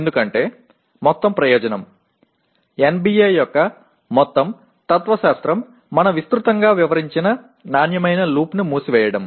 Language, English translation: Telugu, Because the whole purpose, the whole philosophy of NBA is to close the quality loop which we have explained extensively